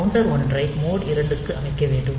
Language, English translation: Tamil, So, counter 1 has to be set to mode 2